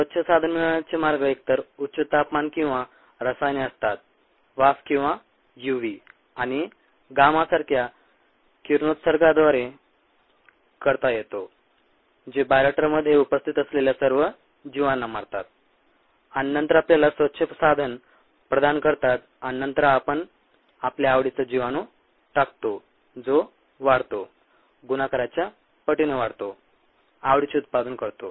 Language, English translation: Marathi, the ways of achieving a clean slate is either through high temperature or a chemicals, vapors, or through radiation such as u, v and gamma, which kills all the organisms that are present in the bioreactor and then provides us with the clean slate, and then we introduce the organisms of our interest which grows, a multiplies, produces the product of interest